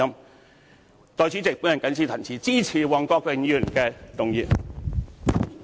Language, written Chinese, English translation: Cantonese, 代理主席，我謹此陳辭，支持黃國健議員的議案。, With these remarks Deputy President I support Mr WONG Kwok - kins motion